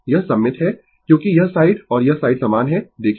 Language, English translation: Hindi, It is symmetrical because this side and this side is same look